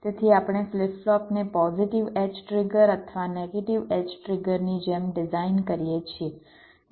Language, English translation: Gujarati, so we design the flip flop like a positive edge triggered or a negative edge triggered